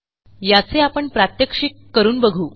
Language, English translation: Marathi, Let me demonstrate this now